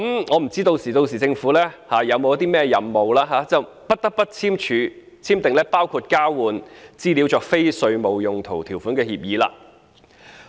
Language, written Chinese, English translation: Cantonese, 我不知道政府屆時會否有甚麼任務，以致不得不簽訂包括交換資料作非稅務用途條款的協定了。, I do not know whether the Government will then feel obliged to sign such agreements with the provision for the use of the exchanged information for non - tax related purposes in order to accomplish some sort of missions